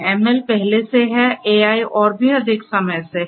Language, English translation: Hindi, ML has been there, AI has been there for even more for a longer time